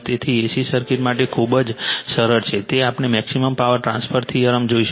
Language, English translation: Gujarati, So, for A C circuit also very simple it is we will see the maximum power transfer theorem